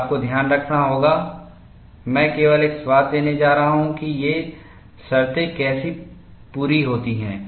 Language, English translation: Hindi, And you have to keep in mind, I am going to give only a flavor of how these conditions are met